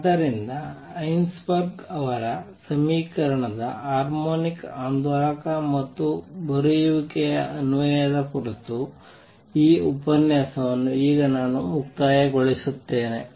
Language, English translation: Kannada, So, let me now conclude this lecture on Heisenberg’s application of his equation to harmonic oscillator and write